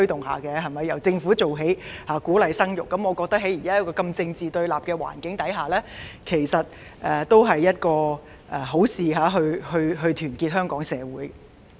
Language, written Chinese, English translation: Cantonese, 我認為，在現時如此政治對立的環境下，由政府牽頭做起，鼓勵生育，其實也是好事，有助團結香港社會。, In my opinion under the extreme political confrontations for the time being it is also a good thing for the Government to take the lead to encourage childbearing since this will help unite the local community